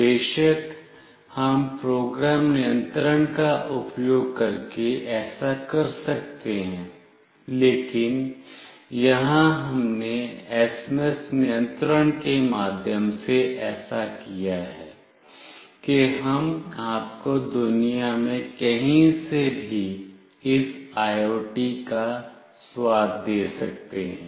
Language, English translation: Hindi, Of course, we can do this using program control, but here we have done through SMS control such that we can give you a flavor of this IoT from anywhere in the world